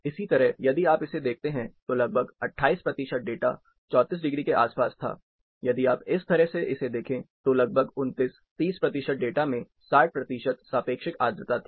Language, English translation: Hindi, Similarly, if you have look at this, about 28 percent of the data was, around 34 degree, if you look at this way, around 29, 30 percent of the data had 60 percent relative humidity